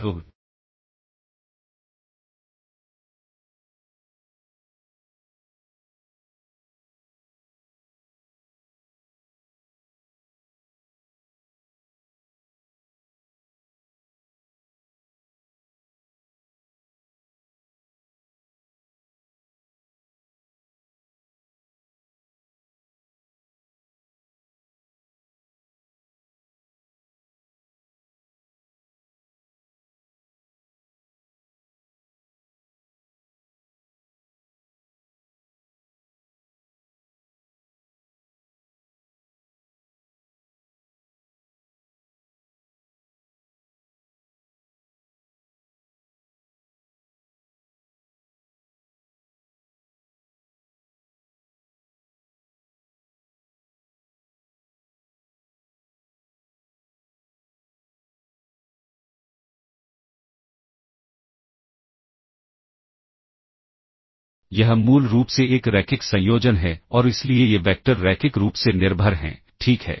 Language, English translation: Hindi, So, this is basically a linear combination and these vectors are therefore, linearly dependent, ok